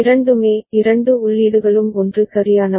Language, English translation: Tamil, Both of the both the inputs are 1 is fine right